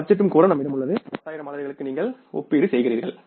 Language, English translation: Tamil, Budget is also easily available with us for the 10,000 units